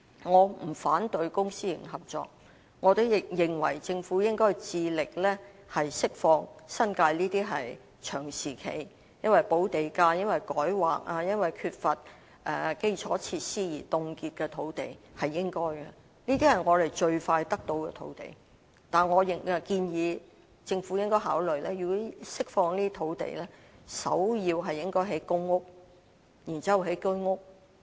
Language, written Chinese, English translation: Cantonese, 我不反對公私營合作，我也認為政府應致力釋放這些長時間因補地價、改劃或缺乏基礎設施而凍結的新界土地，這是應該做的，這也是我們最快能夠得到的土地途徑；但政府如果真的能夠釋放這些土地，我建議首要應該興建公屋，然後是居屋。, I do not oppose public - private partnership and I also agree that the Government should release these sites in the New Territories long frozen due to premium payment rezoning or the lack of infrastructure facilities . This is what should be done and the channel to obtain land most expeditiously . But if the Government can really release these sites I suggest that they should first be used for developing PRH units followed by HOS flats